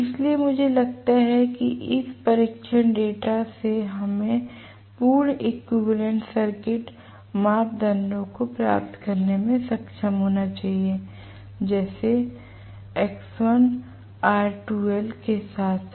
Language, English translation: Hindi, So, I think from this test data we should be able to get the complete equivalent circuit parameters namely x1, r2 dash as well as x2 dash